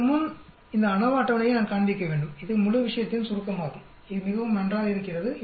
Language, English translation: Tamil, Before that, I need to show this ANOVA table which is sort of a summary of whole thing, it is very nice